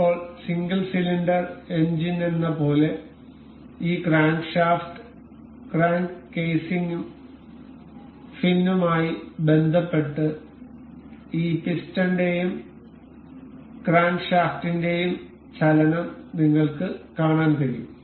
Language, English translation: Malayalam, Now, you can see the motion of this piston and the crankshaft in relation with this crankshaft crank case and the fin as in a single cylinder engine